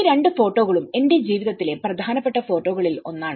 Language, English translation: Malayalam, These two photographs are one of the important photographs of my life